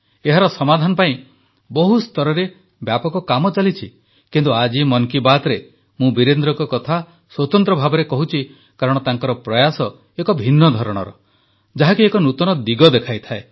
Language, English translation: Odia, Work is being done on a massive scale to find the solution to this issue, however, today in Mann Ki Baat, I am especially mentioning Virendra ji because his efforts are different and show a new way forward